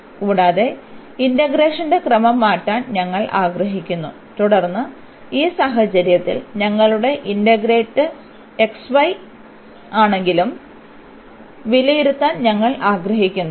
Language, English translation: Malayalam, And we want to change the order of integration and then we want to evaluate though in this case our integrand is just xy